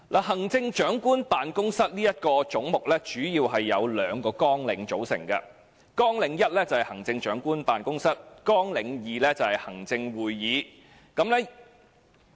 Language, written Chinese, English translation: Cantonese, 行政長官辦公室這個總目，主要由兩個綱領組成：綱領1行政長官辦公室，及綱領2行政會議。, The head of the Chief Executives Office mainly consists of two programmes Programme 1 Chief Executives Office and Programme 2 Executive Council